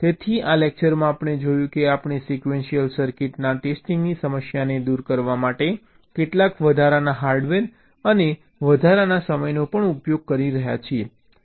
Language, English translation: Gujarati, so in this lecture we have seen that we are using some additional hardware and also additional time, significantly additional time, to address the problem of testing sequential circuits